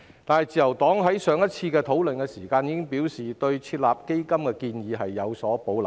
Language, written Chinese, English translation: Cantonese, 但是，自由黨在上次討論時已表示，對設立基金的建議有保留。, However the Liberal Party already expressed reservations about the suggestion of setting up a fund during the discussion on the last occasion